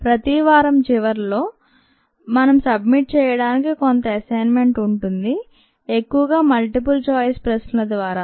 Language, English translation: Telugu, in the end of every week will have ah some assignment to submit, mostly through multiple choice questions